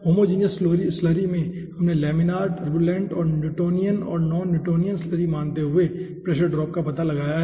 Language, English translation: Hindi, flow in homogeneous slurry, we have found out the pressure drop, considering laminar, turbulent and considering newtonian and non newtonian slurry